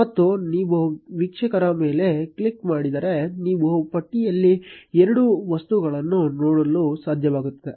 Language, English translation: Kannada, And if you click on viewer you will be able to see two objects in the list